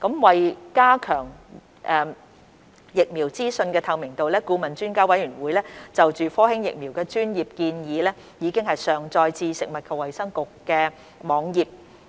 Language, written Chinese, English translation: Cantonese, 為加強疫苗資訊的透明度，顧問專家委員會就科興疫苗的專業建議已上載至食物及衞生局網頁。, With a view to strengthening the transparency of information regarding vaccines the expert advice on the Sinovac vaccine given by the Advisory Panel has been uploaded to the website of the Food and Health Bureau